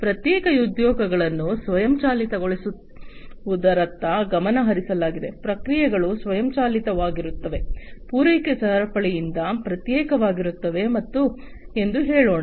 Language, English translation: Kannada, But, there the focus was on automating separate, separate jobs, you know separate let us say the processes will be automated separate from the supply chain